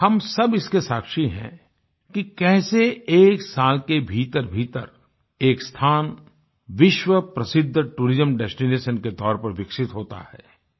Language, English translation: Hindi, We are all witness to the fact that how within a year a place developed as a world famous tourism destination